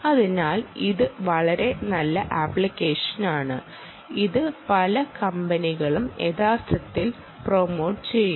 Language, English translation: Malayalam, so this is a very nice application which many companies are actually promoting